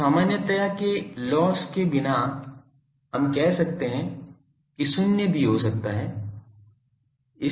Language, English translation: Hindi, So, without loss of generality we can say E H can be 0 also